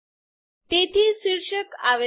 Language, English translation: Gujarati, So the caption has come